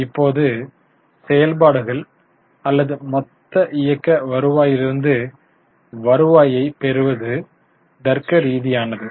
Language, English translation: Tamil, Now, it is logical for us to take revenue from operations or total operating revenue